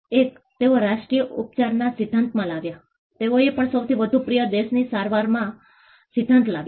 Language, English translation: Gujarati, One they brought in a principle of national treatment; they also brought in the principle of most favored nation treatment